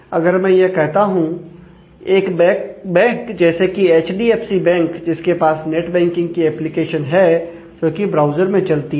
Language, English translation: Hindi, So, if I say that a bank say, HDFC bank has a net banking application, which runs on the browser